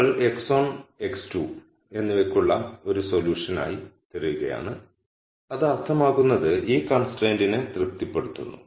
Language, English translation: Malayalam, You are looking for a solution to x 1 and x 2 which also satis es this constraint that is what it means